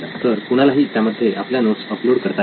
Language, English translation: Marathi, So someone can upload their documents or their notes onto it